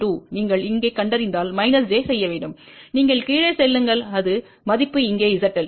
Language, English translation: Tamil, 2 you locate here you have 2 minus Z you go down and that is value is over here Z L